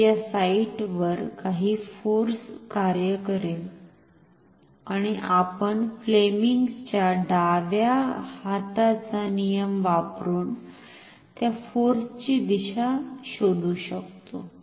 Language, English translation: Marathi, So, there will be some force acting on these sites and we can find out the direction of that force using now the Fleming’s left hand rule